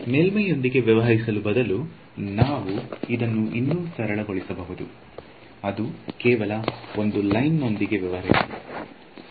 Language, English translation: Kannada, So, instead of dealing with the surface we can make life simpler and just deal with a line